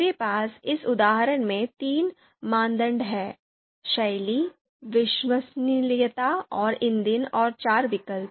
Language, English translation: Hindi, I have three criteria that is the style, reliability and fuel and then four alternatives are there